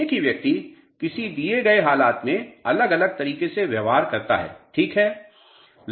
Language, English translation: Hindi, The same person behaves in a different manner in a given circumstances ok